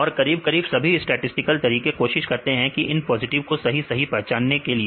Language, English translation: Hindi, And most of the statistical methods; they try to identify correctly these positives